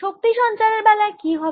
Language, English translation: Bengali, what about energy transmission